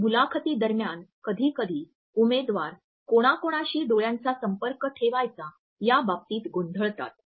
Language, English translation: Marathi, During the interviews sometimes candidates become confused as to with home they have to maintain the eye contact